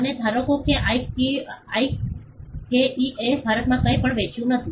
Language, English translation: Gujarati, And assume that IKEA did not sell anything in India